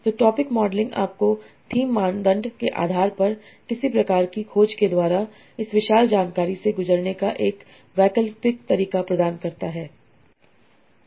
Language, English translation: Hindi, So topic modeling gives you an alternative method of going through this huge amount of information by some sort of searching based on themes criteria